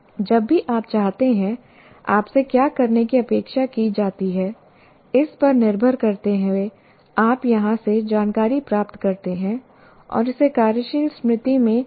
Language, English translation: Hindi, And whenever you want, depending on what you are expected to do, you retrieve information from here and bring it back to the working memory, let's say to solve a problem